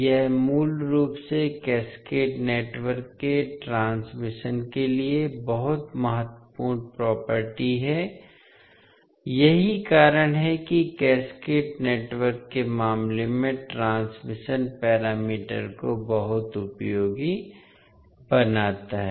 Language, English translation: Hindi, This is basically very important property for the transmission the cascaded network that is why makes the transition parameters very useful in case of cascaded network